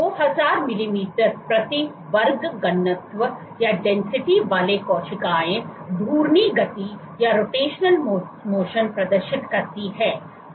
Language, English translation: Hindi, So, the cells at densities of 2000 per millimeter square exhibit rotational motion